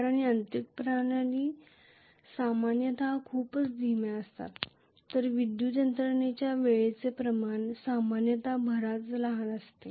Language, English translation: Marathi, Because mechanical systems are normally very slow whereas the electrical systems time constants are generally much smaller generally